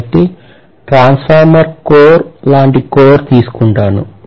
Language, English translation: Telugu, So I am going to take a core which is like a transformer core